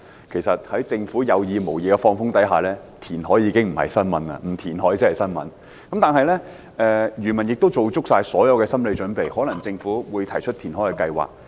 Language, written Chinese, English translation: Cantonese, 其實，在政府有意無意"放風"的情況下，填海已經不是新聞，不填海才是新聞，漁民亦已做足心理準備，預計政府可能會提出填海計劃。, Actually given the hint made by the Government intentionally or not reclamation is no news anymore . It will be a piece of news only if no reclamation is carried out . Fishermen have made full psychological preparations with the anticipation that the Government may propose a reclamation project